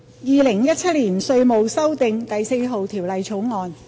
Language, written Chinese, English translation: Cantonese, 《2017年稅務條例草案》。, Inland Revenue Amendment No . 4 Bill 2017